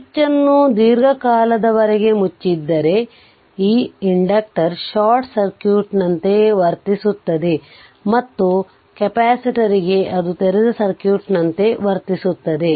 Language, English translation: Kannada, If the switch is closed for long time, that inductor will behave as a short circuit and for the capacitor it will behave as a for dc that open circuit